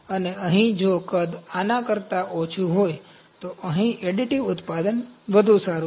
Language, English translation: Gujarati, And here if volume is lesser than this, here additive manufacturing is better